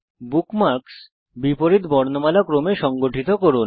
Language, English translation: Bengali, * Organize the bookmarks in reverse alphabetical order